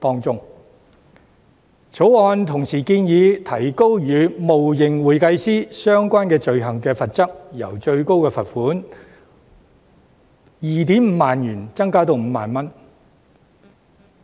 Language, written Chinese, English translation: Cantonese, 《條例草案》同時建議提高與冒認會計師相關的罪行的罰則，由最高罰款 25,000 元提高至 50,000 元。, The Bill also proposes to increase the penalty level of offences relating to making false claim of being an accountant from a maximum fine at 25,000 to 50,000